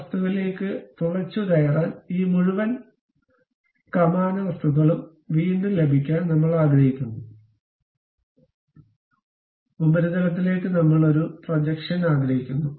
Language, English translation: Malayalam, Again I would like to have this entire arch kind of substance to go penetrate into this object; up to the surface I would like to have a projection